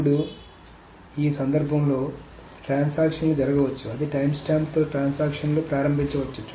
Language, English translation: Telugu, Now, transactions, in this case, what may happen is that transactions may be started with the same timestamps